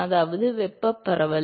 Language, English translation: Tamil, I mean thermal diffusivity